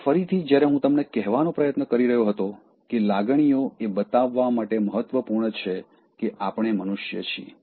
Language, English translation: Gujarati, Now again, as I was trying to tell you that emotions are important to show that we are human beings